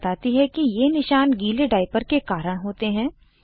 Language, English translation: Hindi, The doctor explains that the rashes are because of the wet diaper